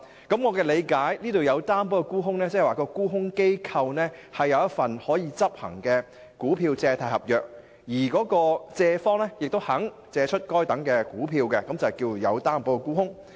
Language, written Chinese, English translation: Cantonese, 據我理解，"有擔保沽空"是指沽空機構持有一份可執行的股票借貸合約，而借方亦願意借出該等股票，這便是"有擔保沽空"。, As far as I understand it covered short sales means that a short selling institution possesses an enforceable stock lending agreement under which the lender is willing to lend the stocks concerned . This is called covered short sales